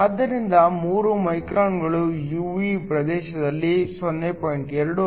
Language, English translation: Kannada, So, 3 microns lies in the IR region 0